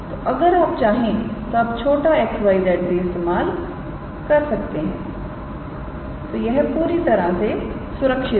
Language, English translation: Hindi, So, if you want you can use this small x y z now and its totally safe to do that